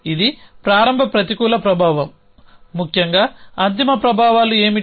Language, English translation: Telugu, So, that is a starts negative effect essentially what are the end effects